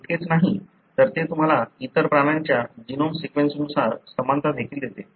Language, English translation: Marathi, Not only that, it also gives you the similarity, sequence wise with the genome of various other animals